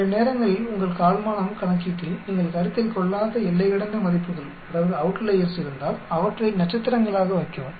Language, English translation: Tamil, Sometimes if you have outliers which you do not consider in your quartile calculation, put them as stars